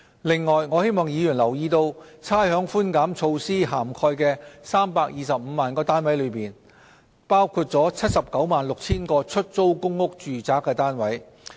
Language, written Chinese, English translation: Cantonese, 另外，我希望議員留意差餉寬減措施涵蓋的325萬個物業中，包括了 796,000 個出租公屋住宅單位。, Furthermore I hope Members will note that the 3.25 million properties covered by the rates concession measure include 796 000 public rental housing units